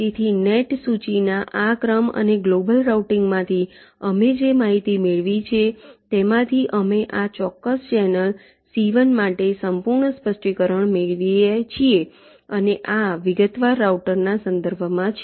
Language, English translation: Gujarati, so from this sequence of net list and the information we have obtained from global routing, we obtain the complete specification for c one, for this particular channel, c one, and this is with respect to detailed router